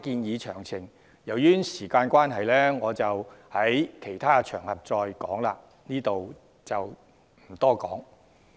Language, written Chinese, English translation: Cantonese, 由於時間關係，我會留待其他場合解說相關建議的詳情，在此不贅。, Due to time constraint I will explain the details of this proposal on other occasions and will not go into them now